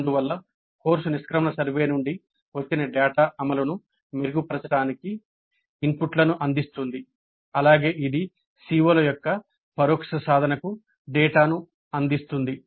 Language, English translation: Telugu, Thus the data from course exit survey provides inputs for improving the implementation as well as it provides the data for indirect attainment of COs, computation of indirect attainment